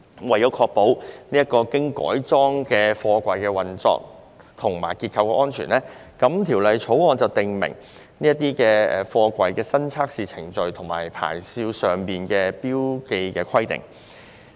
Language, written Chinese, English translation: Cantonese, 為確保此等經改裝的貨櫃的運作和結構安全，《條例草案》訂明該等貨櫃的新測試程序和牌照上的標記規定。, To ensure the operational and structural safety of these modified containers the Bill prescribes new testing procedures and marking requirements on the SAPs of such containers